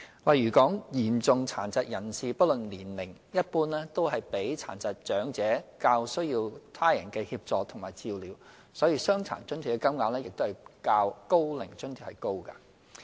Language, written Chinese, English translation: Cantonese, 例如嚴重殘疾人士不論年齡，一般都比沒有殘障的長者較需要他人協助和照料，所以"傷殘津貼"的金額較"高齡津貼"為高。, For instance persons with severe disabilities regardless of age generally require more assistance and care from others when compared to elderly persons without disabilities and hence the rate of DA is higher than that of OAA